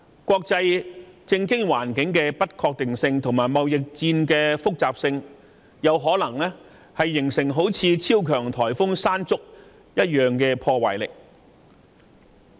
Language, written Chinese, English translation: Cantonese, 國際政經環境的不確定性，以及貿易戰的複雜性，有可能形成如同超強颱風山竹的破壞力。, The uncertainties in international politics and world economy plus the complicated trade war are likely to create a strong destruction force which may sweep through Hong Kong just like what super typhoon Mangkhut did